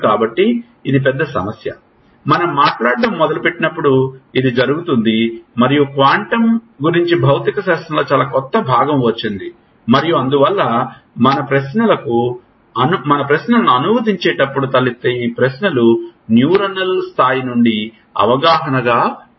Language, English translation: Telugu, So, that is the big problems which, which happen when we start talking about and that is a lot of new physics has come in what has come in the lot of new physics about quantum and so, these questions which arise while we are translating our understanding from the neuronal level to